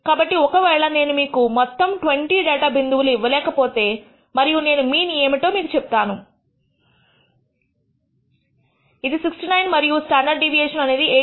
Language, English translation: Telugu, So, even if I do not give you the entire 20 data points and I tell you the mean is, let us say 69 and the standard deviation is 8